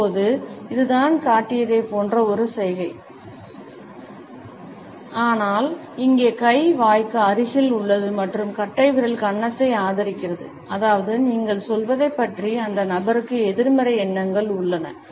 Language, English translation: Tamil, Now, this is a similar gesture to the one I have just shown, but here the hand is nearer to the mouth and the thumb is supporting the chin, which means that the person has negative thoughts about what you are saying